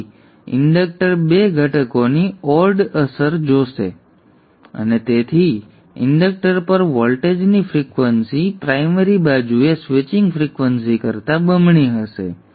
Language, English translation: Gujarati, So the inductor will see an odd effect of the two components and therefore the frequency of the voltage across the inductor will be double the switching frequency on the primary side